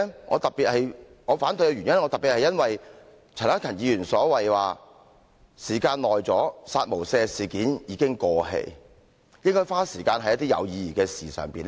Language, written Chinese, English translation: Cantonese, 我反對的原因，特別是因為陳克勤議員說："時間久了，'殺無赦'事件已經過氣，應該花時間在一些有意義的事情上"。, I reject it especially because Mr CHAN Hak - kan argued that the incident surrounding the killing with no mercy remark has happened some time ago . This issue is already over . The Council should spend time on other meaningful issues